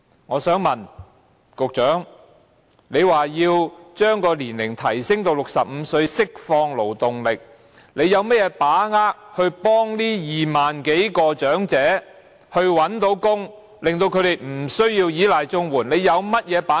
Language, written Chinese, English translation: Cantonese, 我想問局長，他表示要將退休年齡提升至65歲，以釋放勞動力，他有甚麼把握可協助這25000多名長者找到工作，令他們不需要依賴綜援，他有甚麼把握？, The Secretary said he would seek to raise the retirement age to 65 to release labour force may I ask him how he can be certain that these some 25 000 elderly people can be helped to land jobs so that they will not need to rely on CSSA? . How can he be certain about that?